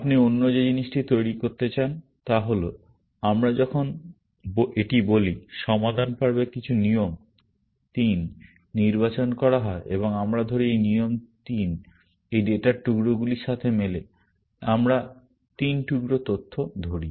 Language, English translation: Bengali, The other thing that you would like to do is that, because when we, let us say this, some rule 3 is selected in the resolve phase, and let us say this rule 3 matches these pieces of data; let us say 3 pieces of data